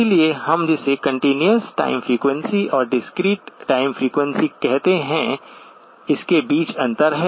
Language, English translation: Hindi, So there is a difference between what we call as continuous time frequency and the discrete time frequency